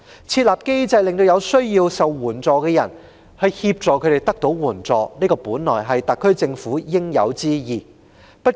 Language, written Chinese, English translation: Cantonese, 設立機制協助有需要的人得到援助，本是特區政府的應有之義。, It should be the bounden duty of the SAR Government to set up a mechanism to help the needy obtain assistance